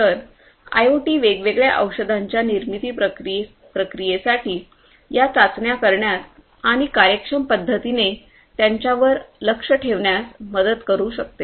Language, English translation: Marathi, So, IoT can help, IoT can help in doing these trials for the production process of the different you know drugs and so on monitoring those in a much more efficient manner